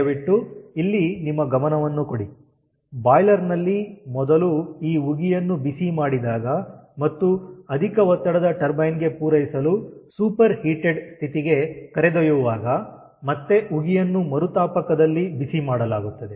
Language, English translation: Kannada, first, when these steam is heated and taken to the superheated ah superheated condition for supplying it to the high pressure turbine, and again steam is heated in the reheater